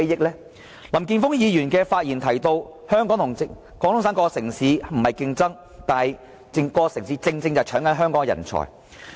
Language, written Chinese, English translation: Cantonese, 林健鋒議員的發言提到，香港和廣東省各城市並非競爭，但是各個城市正好在搶奪香港的人才。, Mr Jeffrey LAM says that there is no competition as such between Hong Kong and the other cities in the Guangdong Province . But he must note the fact that these cities are robbing Hong Kong of its talents